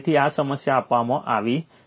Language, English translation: Gujarati, So, this is the problem is given